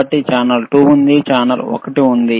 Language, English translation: Telugu, So, there is channel 2, there is channel one